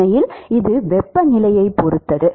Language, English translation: Tamil, And in fact, it depends on temperature